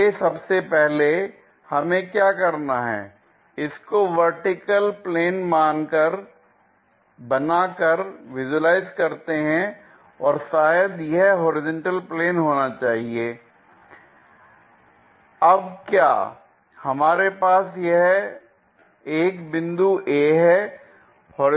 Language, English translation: Hindi, Further first what we have to do is visualize that, by making a vertical plane perhaps that might be the horizontal plane